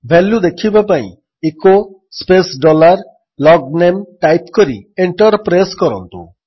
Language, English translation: Odia, In order to see the value, type: echo space dollar LOGNAME and press Enter